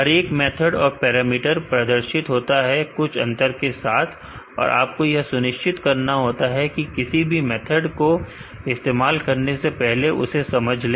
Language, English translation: Hindi, Each parameter and the method is displayed along with an difference, make sure you understand what the method is before you are using it